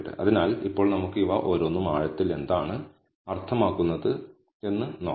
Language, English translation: Malayalam, So, now, let us look at each of these and what they mean in depth